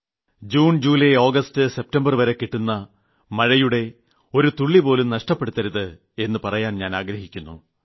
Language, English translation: Malayalam, I urge the people of India that during this June, July, August September, we should resolve that we shall not let a single drop of water be wasted